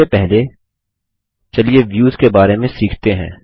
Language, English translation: Hindi, Before that, let us learn about Views